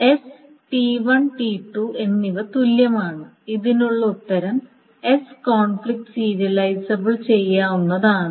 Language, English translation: Malayalam, So that means that S and T1, T2 are equivalent, that means S is conflict serializable